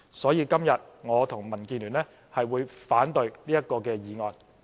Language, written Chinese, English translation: Cantonese, 所以，今天我和民建聯將會反對這項議案。, For this reason the DAB and I will oppose this motion today